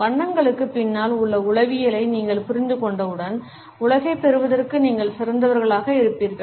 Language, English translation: Tamil, Once you understand the psychology behind colors, you will be better equipped to take on the world